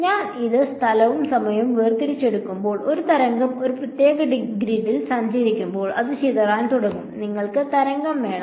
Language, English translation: Malayalam, So, when I do this chopping up off space and time into discrete things what happens is that, as a wave travels on a discrete grid it begins to disperse; you want the wave